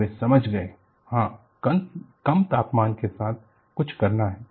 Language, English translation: Hindi, So, they understood, yes, this is something to do with low temperature